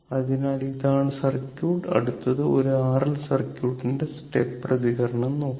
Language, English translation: Malayalam, So, this is the circuit, this next we will go for step response of an R L circuit